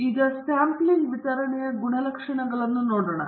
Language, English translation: Kannada, So, now, let us look at the properties of the sampling distribution